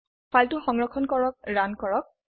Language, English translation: Assamese, Save the file run it